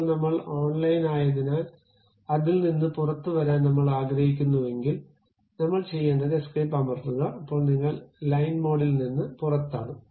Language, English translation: Malayalam, Now, because I am online I would like to really come out of that what I have to do press escape, escape, we are out of that line mode